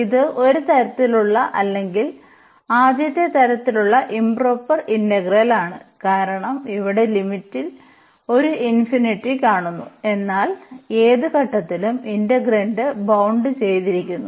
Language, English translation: Malayalam, So, this is the improper integral of a kind one or the first kind because here in the limit we do see a infinity, but the integrand at any point is bounded